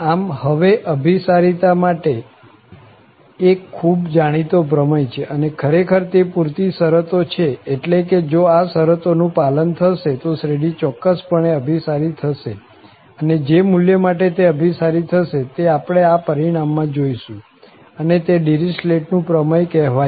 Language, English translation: Gujarati, So, there is a famous convergence theorem and these are indeed the sufficient conditions that means if these conditions are met, the series will definitely converge and to what value it will converge, that we will see in this result and this is called Dirichlet’s theorem